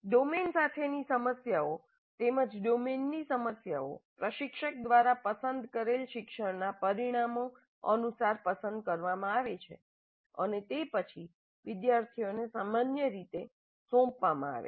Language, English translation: Gujarati, The domain as well as the problems in the domain are selected by the instructor in accordance with the intended learning outcomes and are then typically assigned to the students